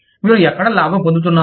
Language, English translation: Telugu, Where do you think, you are making profits